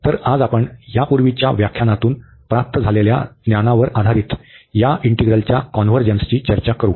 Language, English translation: Marathi, So, we will be discussing today the convergence of these integrals based on the knowledge we have received from earlier lectures